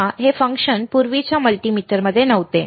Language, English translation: Marathi, See, this function was not there in the earlier multimeter